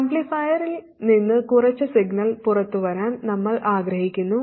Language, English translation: Malayalam, We want some signal to come out of the amplifier